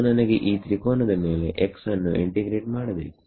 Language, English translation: Kannada, So, supposing I got x integrated over this triangle